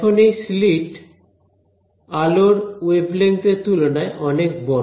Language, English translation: Bengali, Now, this slit is much bigger than the wave length of light